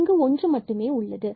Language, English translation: Tamil, So, we got another points here